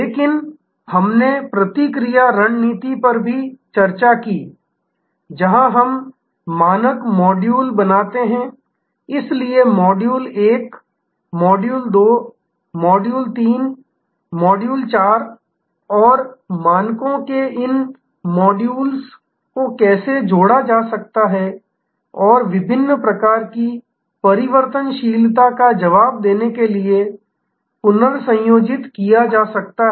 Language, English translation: Hindi, But, we had also discussed the response strategy, where we create standard modules, so module 1, module 2, module 3, module 4 and how these modules of standards can be combined and recombined to respond to different types of variability